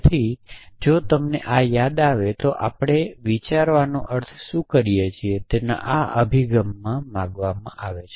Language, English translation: Gujarati, So, if you recall this we are sought coming to this approach of what we mean by thinking